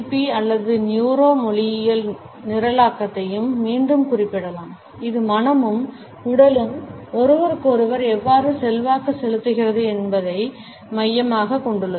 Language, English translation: Tamil, At this point, we can also refer to NLP or the Neuro Linguistic Programming again, which focuses on how mind and body influence each other